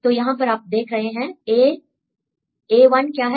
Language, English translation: Hindi, So, here if you see a; what is a1